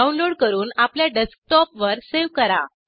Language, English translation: Marathi, Download and save it on your Desktop